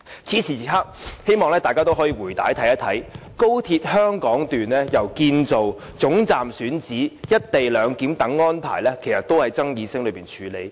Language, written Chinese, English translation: Cantonese, 此時此刻，希望大家可以回看高鐵香港段由建造、總站選址到"一地兩檢"等安排，其實都是在爭議聲中處理。, At this moment in time when we look back on the history of the XRL Hong Kong Section from its construction the selection of terminal site to the implementation of the co - location arrangement we will find that the whole process is rife with disputes